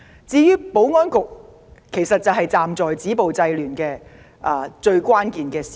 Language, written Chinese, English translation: Cantonese, 至於保安局，在止暴制亂上擔當關鍵角色。, As for the Security Bureau it plays a crucial role in stopping violence and curbing disorder